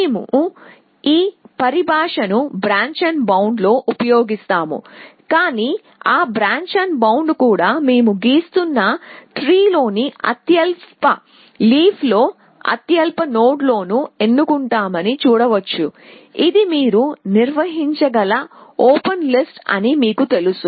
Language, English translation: Telugu, We dint use this terminology in branch and bound, but you can see that branch and bound also always picks the lowest nodes in lowest leaf in the tree that we were drawing which is like you know open list that you can maintain